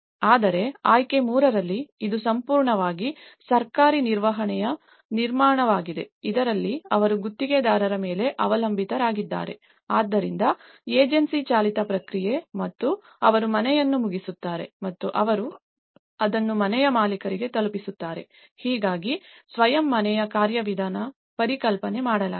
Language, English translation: Kannada, Whereas in option 3, it is completely a government managed construction so, in this, they rely on the contractor, so agency driven process and they finish the house and they deliver it to the homeowner so, this is how the self house mechanism has been conceptualized